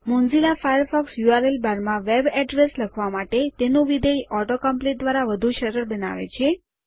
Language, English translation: Gujarati, Mozilla Firefox makes it easy to type web addresses in the URL bar with its auto complete function